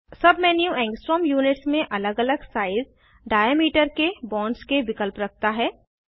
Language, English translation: Hindi, The sub menu has options of bonds in different size diameter, in angstrom units